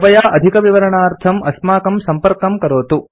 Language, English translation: Sanskrit, Please contact us for more details